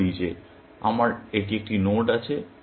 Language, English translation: Bengali, Let us say, this is a node that I have